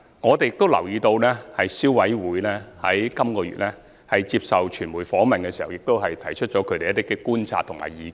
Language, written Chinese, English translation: Cantonese, 我們亦留意到，消委會在本月接受傳媒訪問時亦提出了一些觀察和意見。, Besides we notice that CC also shared some observations and views when receiving media interview this month